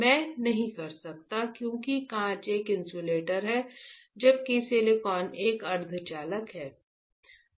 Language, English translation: Hindi, I cannot, right why because glass is an insulator while silicon is a semiconductor right